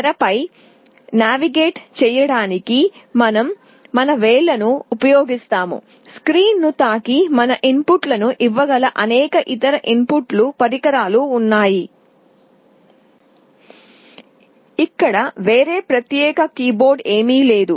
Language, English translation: Telugu, We use our fingers to navigate on the screen; there are many other input devices where you can touch the screen and feed our inputs; there is no separate keyboard